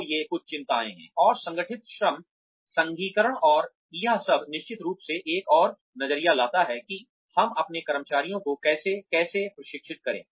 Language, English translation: Hindi, So these are some of the concerns, that, and organized labor, unionization and all of that, definitely brings another angle, to what, how we train our employees